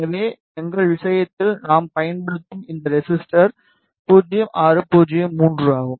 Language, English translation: Tamil, So, in our case this resistor that we will be using is 0603